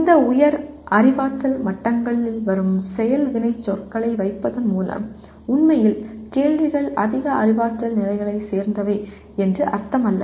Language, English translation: Tamil, By merely putting action verbs that come from these higher cognitive levels does not mean that actually the questions belong to higher cognitive levels